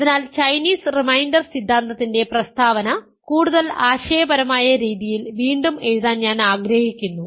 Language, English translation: Malayalam, So, I want to now rephrase the statement of Chinese reminder theorem in a more conceptual manner